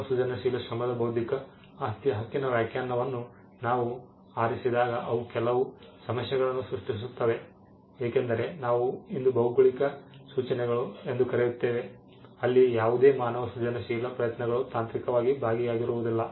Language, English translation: Kannada, When we pick the definition of intellectual property right to human creative Labour that itself creates some problems because, we have today something called geographical indications where no human creative effort is technically involved